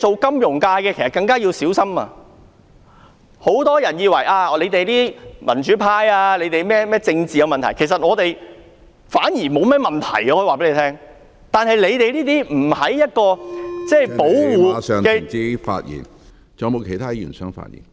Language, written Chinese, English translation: Cantonese, 金融業從業者更要小心，很多人以為民主派擔心有人會因其政治意見而被移交，其實我們並不擔心這點，但金融業從業者在不受保護......, Practitioners of the financial industry have to watch out . Many people think that the democrats are worried that they would be surrendered to the Mainland on grounds of their political views but we are not worried about this . But practitioners of the financial industry are not protected